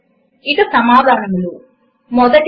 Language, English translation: Telugu, And now the answers,1